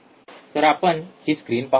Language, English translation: Marathi, So, let us see the screen